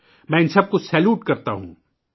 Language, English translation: Urdu, I salute all of them